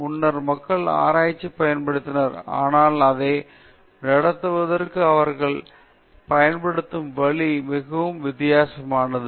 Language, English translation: Tamil, Earlier also people used to conduct research, but the way they use to conduct it was very different